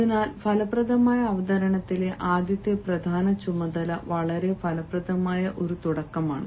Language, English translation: Malayalam, so the first important task in an effective presentation is a very effective beginning